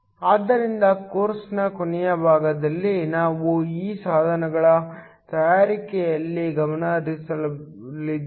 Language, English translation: Kannada, So, in the last part of the course, we are going to focus on fabrication of these devices